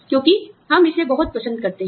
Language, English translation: Hindi, Because, we enjoy it, so much